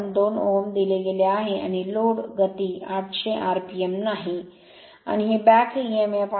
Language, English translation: Marathi, 2 ohm and no load speed 800 rpm, and this is the back emf